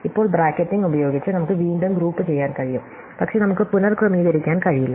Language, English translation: Malayalam, Now, we can regroup by bracketing, but we cannot reorder